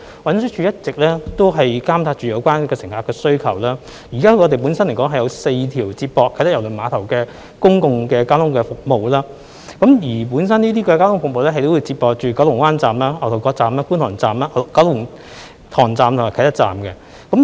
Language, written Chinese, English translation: Cantonese, 運輸署一直監察有關乘客的需求，現時我們有4條接駁啟德郵輪碼頭的公共交通服務路線，而這些交通服務會接駁到九龍灣站、牛頭角站、觀塘站、九龍塘站和啟德站。, TD has been monitoring the passenger demand . At present we have four public transport service routes connecting the Kai Tak Cruise Terminal to Kowloon Bay Station Ngau Tau Kok Station Kwun Tong Station Kowloon Tong Station and Kai Tak Station